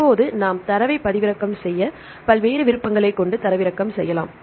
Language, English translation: Tamil, Now we can also download the data the various options to download the data right they have the various options